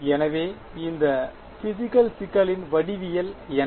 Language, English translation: Tamil, So, what is the sort of geometry of this physical problem